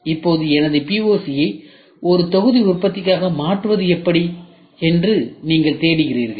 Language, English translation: Tamil, Now, you are looking for how do I convert my POC into a batch production then you are production has started